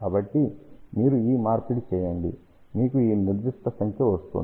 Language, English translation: Telugu, So, of you just do the conversion, you will get this particular number